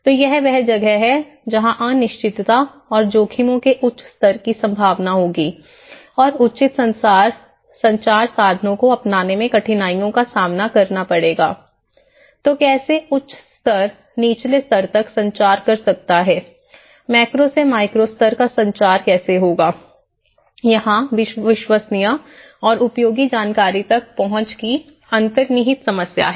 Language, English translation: Hindi, So, this is where there will be a chances of high levels of uncertainty and risks and difficulties in adopting proper communication means so, how at a higher order level, which can communicate to a lower order level or you know how a macro level will look at a micro level communication, inherent problems of access to reliable and useful information